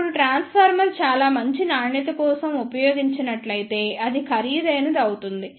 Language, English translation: Telugu, Now, if the transformer is used for very good quality then it becomes expensive